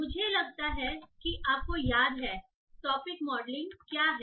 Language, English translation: Hindi, So I assume you remember what is topic modeling